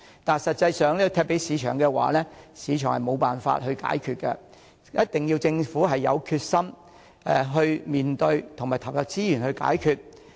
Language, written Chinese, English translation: Cantonese, 但實際上，如果把問題交給市場，市場是無法解決的，一定要政府有決心去面對，投入資源去解決。, However problems that left to the market in fact cannot be solved by the market itself; they must be faced and solved by the Government with determination and more resources allocated